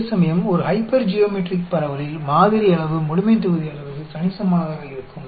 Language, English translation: Tamil, Whereas, in a hypergeometric distribution, the sample size is sort of considerable to the population size